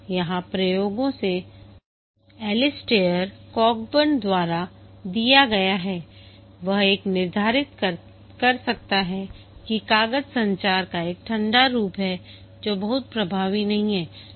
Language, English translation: Hindi, This is given by Alistair Cockburn from experiments he could determine that paper is a cold form of communication not very effective